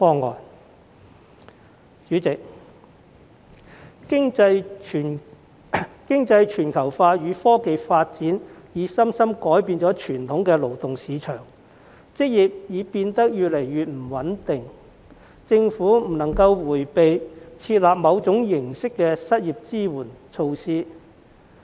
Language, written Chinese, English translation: Cantonese, 代理主席，經濟全球化與科技發展已深深改變傳統的勞動市場，職業已變得越來越不穩定，政府不應迴避設立某種形式的失業支援措施。, Deputy President economic globalization and technological advancement have profoundly changed the traditional labour market resulting in increasing job insecurity . The Government should not shy away from formulating some forms of unemployment support measures